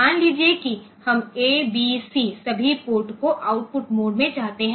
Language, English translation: Hindi, So, suppose we want that all ports of A, B, C, they are output mode ok